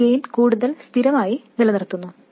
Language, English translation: Malayalam, It keeps the gain more constant